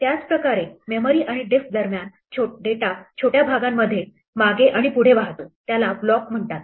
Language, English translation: Marathi, In the same way, the way that data flows back and forth between memory and disk is in chunks called blocks